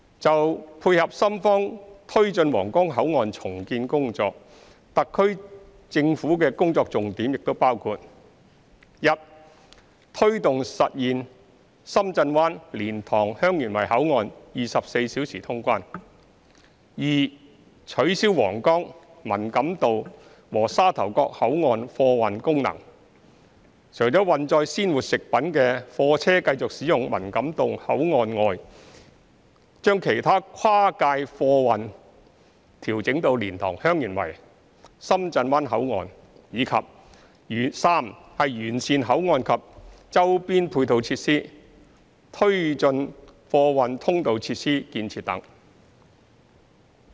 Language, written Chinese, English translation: Cantonese, 就配合深方推進皇崗口岸重建工作，特區政府的工作重點亦包括：一推動實現深圳灣、蓮塘/香園圍口岸24小時通關；二取消皇崗、文錦渡和沙頭角口岸貨運功能，除運載鮮活食物的貨車繼續使用文錦渡口岸外，將其他跨界貨運調整到蓮塘/香園圍、深圳灣口岸；及三完善口岸及周邊配套設施，推進貨運通道設施建設等。, In order to complement the progress of the redevelopment of the Huanggang Port by Shenzhen the focus of the SAR Governments work shall include the following 1 to take forward the implementation of the round - the - clock passengers clearance services at Shenzhen Bay Port and LiantangHeung Yuen Wai Control Point; 2 to abolish the freight transport function at Huanggang Man Kam To Control Point and Sha Tau Kok Control Point but goods vehicles carrying fresh food will be permitted to continue to use the Man Kam To Control Point; other cross - boundary freight transport vehicles will be diverted to LiantangHeung Yuen Wai Control Point and Shenzhen Bay Port; and 3 to improve the control point and the peripheral and ancillary facilities and to take forward the construction of freight access relevant facilities and so on